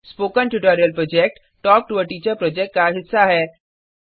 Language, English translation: Hindi, The Spoken Tutorial Project is a part of the Talk to a Teacher project